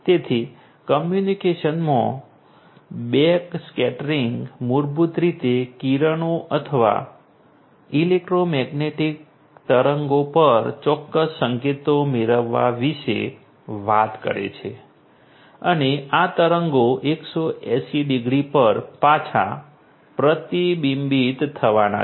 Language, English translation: Gujarati, So, backscattering in communication basically talks about in getting certain signals on the rays or the electromagnetic waves and these waves are going to get reflected back 180 degrees